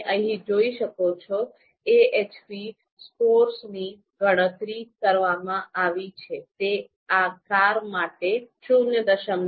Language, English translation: Gujarati, So you can see here AHP scores have been computed, so it is comes out to be 0